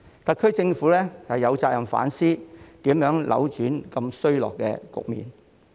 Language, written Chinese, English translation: Cantonese, 特區政府有責任反思，如何扭轉如此衰落的局面。, The SAR Government has the responsibility to reflect on ways to turn the declining situation around